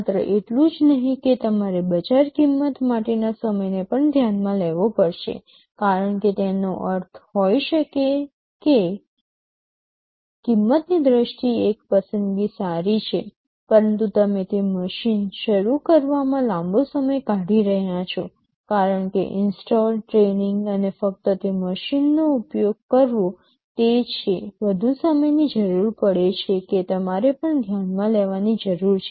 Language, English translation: Gujarati, Not only that you will also have to consider the time to market cost, because may be means one choice is good in terms of cost, but you are taking a long time to start that machine, because installing, training and just using that machine is requiring much more time that also you also have to need to consider